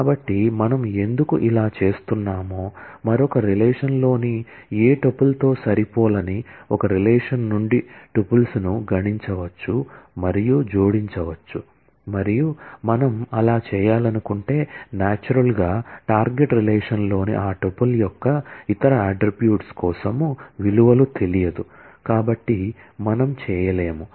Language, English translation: Telugu, So, why we are doing this we can compute and add tuples from one relation that may not match with any tuple in the other relation and if we want to do that then naturally for the other attributes of that tuple in the target relation we will not know the values